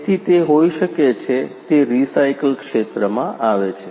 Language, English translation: Gujarati, So, that it can be it comes into recycle area